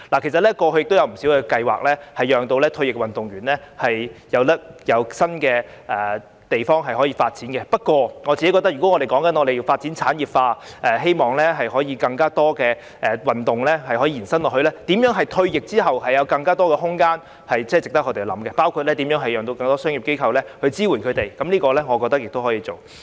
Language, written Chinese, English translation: Cantonese, 其實過去有不少計劃幫助退役運動員在其他地方發展，不過，我個人認為，如果要將體育事業產業化，並希望更多運動傳承下去，那麼如何令運動員在退役後有更多發展空間，是值得我們思考的問題，當中包括如何促使更多商業機構支援他們，我認為這點亦可以做。, In fact there have been quite a number of plans to facilitate the development of a second career for retired athletes . Yet I personally think that if we are to develop the sports industry and pass the torch of success in more sports it is worth considering how athletes can be given more room to develop their careers upon retirement including how to urge more commercial organizations to support them . I think we may work on this